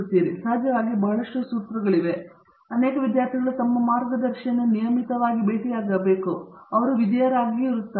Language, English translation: Kannada, So, I get lots formula on that and of course, many students obediently feel they should meet their guides regularly